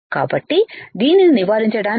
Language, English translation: Telugu, So, to avoid this